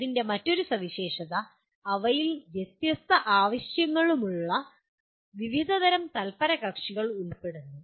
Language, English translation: Malayalam, And another feature of that, they involve diverse groups of stakeholders with widely varying needs